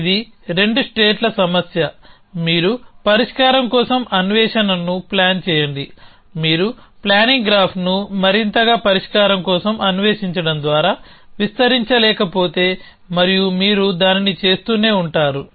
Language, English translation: Telugu, So, it is a 2 states problem, you construct a planning a search for solution, if you cannot extend the planning graph by more search for a solution and you keep doing that